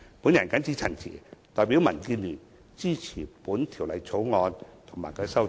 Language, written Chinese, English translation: Cantonese, 我謹此陳辭，代表民建聯支持《條例草案》及其修正案。, With these remarks I support the Bill and the amendments thereto on behalf of DAB